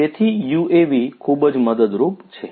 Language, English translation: Gujarati, So, UAVs are very helpful